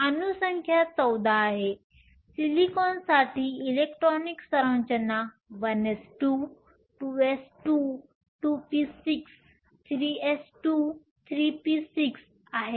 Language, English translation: Marathi, Given the atomic number is 14, the electronic configuration for silicon is 1 s 2 2 s 2 2 p 6 3 s 2 3 p 6